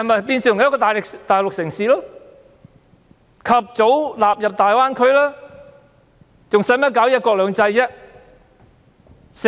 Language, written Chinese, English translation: Cantonese, 便是變成一個大陸城市，及早納入大灣區，還何須搞"一國兩制"？, It has become a Mainland city . If it will soon be incorporated into the Greater Bay Area why bother to uphold one country two systems?